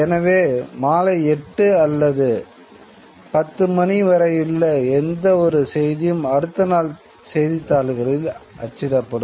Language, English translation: Tamil, So, any news up to, let us say, 8 or 10 o'clock in the evening would be printed in the next day's newspapers